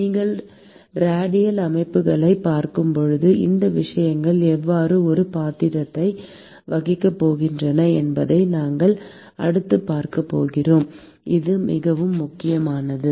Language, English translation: Tamil, And we are going to next see how these things are going to play a role when you are looking at radial systems where this becomes extremely important